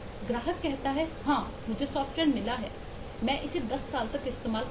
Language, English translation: Hindi, the customer says, yes, I have get the software, I will use it for 10 years